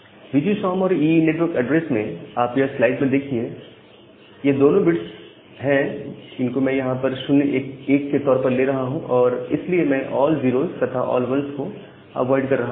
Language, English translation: Hindi, And the VGSOM plus EE network address, it becomes so, these 2 bits I am making them as 0 1, so I am avoiding all 0s and all 1s here